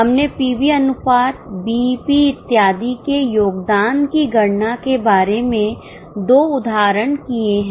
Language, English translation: Hindi, We had done two illustrations about calculation of contribution PV ratio BP and on